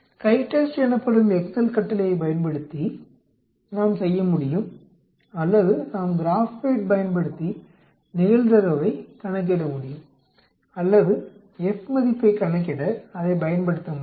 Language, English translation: Tamil, We can do using the excel command called the CHITEST or we can use the Graphpad also to calculate the probability or we can use it for calculating the F value